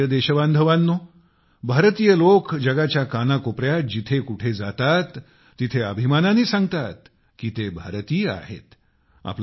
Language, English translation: Marathi, My dear countrymen, when people of India visit any corner of the world, they proudly say that they are Indians